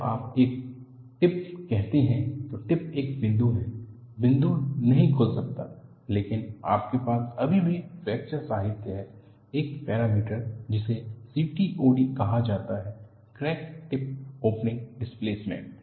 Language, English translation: Hindi, See, when you say a tip, tip is a point; the point cannot open, but you still have in fracture literature, a parameter called CTOD crack tip opening displacement